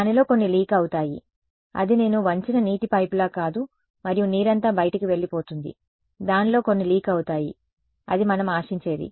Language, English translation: Telugu, Some of it will leak not it will its not like a pipe of water that I bend it and all the water goes out some of it will leak out that is what we will expect